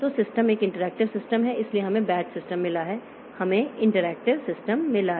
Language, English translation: Hindi, So, we have got batch systems, we have got interactive systems